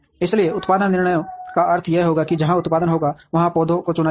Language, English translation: Hindi, So production decisions would mean that the plants where production would take place are being chosen